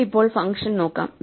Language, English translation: Malayalam, We can now look at the function